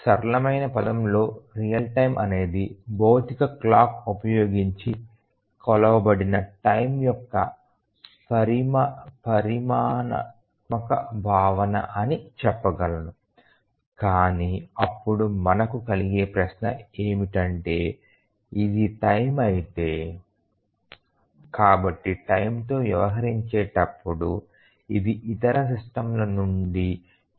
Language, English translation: Telugu, Actually in the simplest term we can say that real time is a quantitative notion of time measured using a physical clock, but then we will have the question that then this is time, so how is it different from other systems, they also deal with time